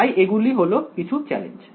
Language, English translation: Bengali, So, those are some of the challenges right